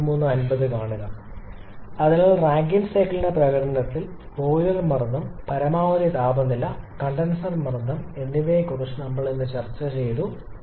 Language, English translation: Malayalam, So, today we have discussed about the effect of boiler pressure, maximum temperature and condenser pressure on the performance of the Rankine cycle